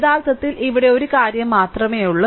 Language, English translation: Malayalam, Here, actually only one thing is here